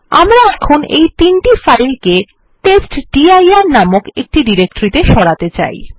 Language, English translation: Bengali, Now we want to move this three files to a directory called testdir